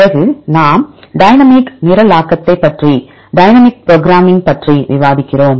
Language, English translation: Tamil, Then we discuss about dynamic programming right what is dynamic programming